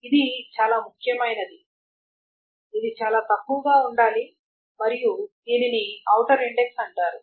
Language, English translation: Telugu, This is very important that this has to be sparse and this is called the outer index